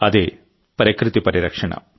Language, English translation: Telugu, conservation of nature